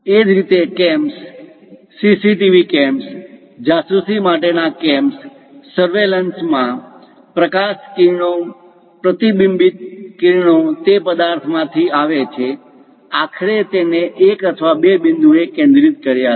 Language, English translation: Gujarati, Similarly, in surveillance like cams, CCTV cams, spy cams; the light rays are perhaps from the object the reflected rays comes, finally focused it either one point or two points